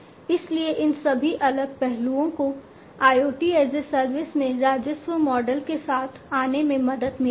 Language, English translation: Hindi, So, all these different aspects will help in coming up with the revenue model in the IoT as a service